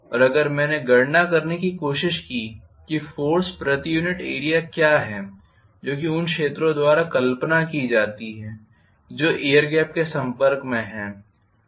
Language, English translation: Hindi, And if I tried to calculate what is the force per unit area as visualized by the areas which are exposed to the air gap